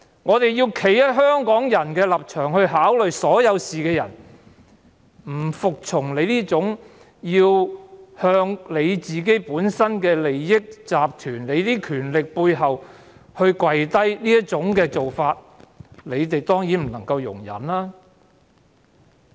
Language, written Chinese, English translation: Cantonese, 我們從香港人的立場考慮所有事，不服從她要向自身利益集團跪低的做法，他們當然不能容忍。, We consider all matters from the standpoint of Hong Kong people . We refuse to endorse her surrender to her own interest groups . They certainly find us intolerable